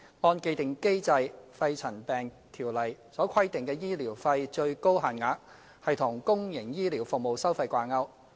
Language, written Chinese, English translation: Cantonese, 按既定機制，《條例》所規定的醫療費最高限額與公營醫療服務收費掛鈎。, According to the established mechanism the maximum rates of medical expenses under PMCO are linked to public health care service fees and charges